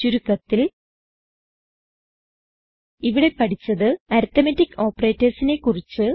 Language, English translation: Malayalam, In this tutorial we learnt how to use the arithmetic operators